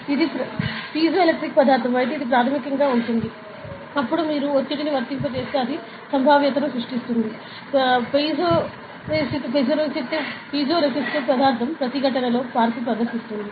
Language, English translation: Telugu, So, it is basically like if it is a piezo electric material, then if you apply the pressure it will generate a potential; while a piezoresistive material will exhibit a change in resistance